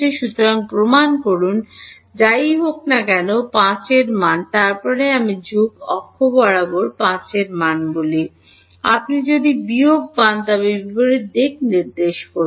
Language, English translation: Bengali, So, E x whatever supposing value of 5, then I say along the plus x axis a value of 5; if you get minus then pointing in the opposite direction